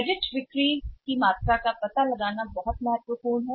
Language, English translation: Hindi, Finding of the quantum of the credit sales is very, very important